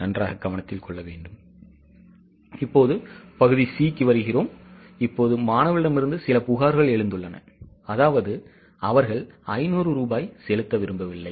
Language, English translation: Tamil, Now, maybe there are some complaints from the students that they don't want to pay 500 rupees